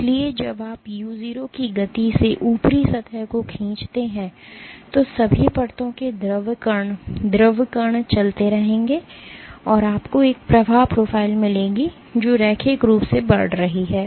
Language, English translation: Hindi, So, when you pull the top surface at the speed of u0, the fluid particles of all the layers will keep on moving and you will get a flow profile which is linearly increasing